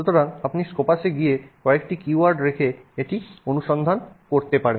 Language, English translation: Bengali, So, you can go to Scopus and put in a few keywords and do a search